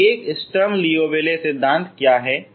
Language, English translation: Hindi, Then what is this Sturm Liouville theory